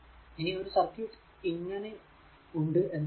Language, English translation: Malayalam, Ah Suppose you have a circuit like this